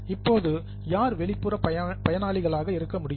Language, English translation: Tamil, Now, who can be external users